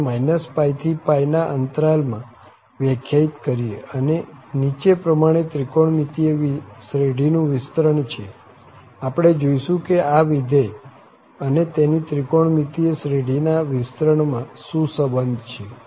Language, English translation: Gujarati, So, define on this interval minus pi to pi and has the following trigonometric series expansion, we will look into that what is the relation between this function and its trigonometric series expansion etcetera